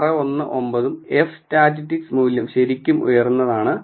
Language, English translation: Malayalam, 619 and the f statistic value is really high which is 68